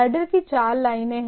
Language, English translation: Hindi, There are four lines of the header